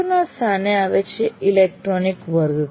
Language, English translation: Gujarati, Then one notch above is the electronic classroom